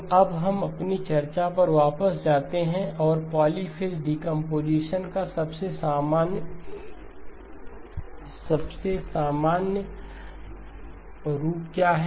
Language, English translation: Hindi, So now we go back to our discussion, what is the most general form of the polyphase decomposition